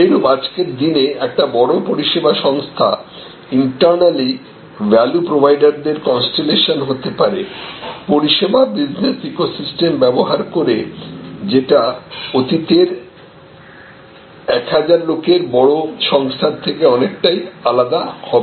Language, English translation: Bengali, Similarly, today a very large service organization can be internally a constellation of value providers using a service business eco system, which is quite different from the yesteryears very large organization employing 1000 of people